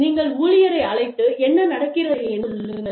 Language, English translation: Tamil, You call the employee, and say, what is going on